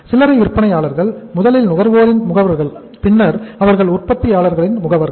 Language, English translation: Tamil, Retailers first are the agents of the consumers then they are the agents of the manufacturers right